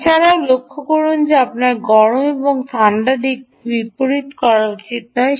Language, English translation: Bengali, also, note that you should not reverse the hot and cold side